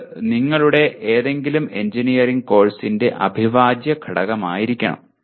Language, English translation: Malayalam, And this should be integral part of any engineering course that you have